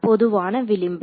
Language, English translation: Tamil, The common edge